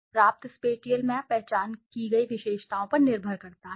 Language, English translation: Hindi, The spatial map obtained depends upon the attributes identified